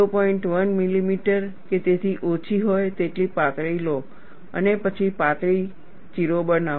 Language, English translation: Gujarati, 1 millimeter or less, and then make a thin slit